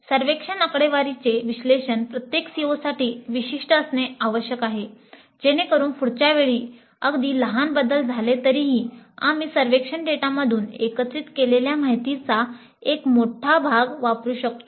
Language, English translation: Marathi, So the analysis of the survey data must be specific to each CO so that next time even if there are minor changes we can use a large part of the information gathered from the survey data